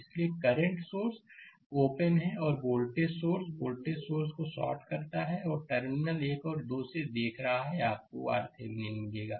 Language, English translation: Hindi, So, current sources open and this voltage sources is voltage sources shorted right and looking from in between terminal 1 and 2, you will get the R Thevenin right